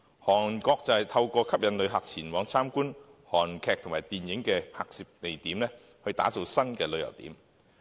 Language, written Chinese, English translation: Cantonese, 韓國則透過吸引旅客前往參觀韓劇和電影的拍攝地點，打造新的旅遊點。, In South Korea the filming sites of its television dramas and movies are developed as new tourist attractions